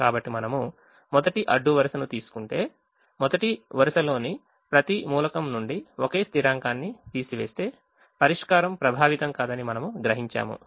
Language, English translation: Telugu, so if we take the first row and we realize that if we subtract the same constant from every element of the first row, the solution is not getting affected